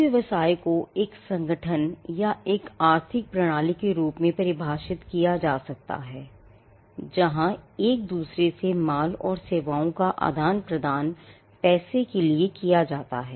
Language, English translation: Hindi, A business can be defined as, an organization or an economic system, where goods and services are exchanged for one another of money